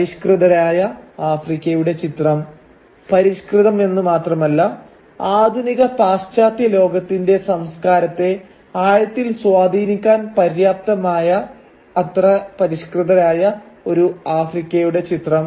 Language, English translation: Malayalam, An image of Africa that is civilised and not only civilised but civilised enough to deeply influence the culture of the modern western world